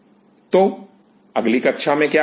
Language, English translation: Hindi, So, what will be doing in the next class